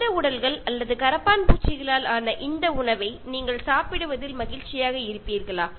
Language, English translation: Tamil, Will you be happy to eat this kind of food made out of human bodies or cockroaches